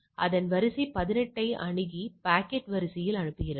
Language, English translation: Tamil, Now, it accesses it accesses queue 18 and send the packet to the queue the new entry is there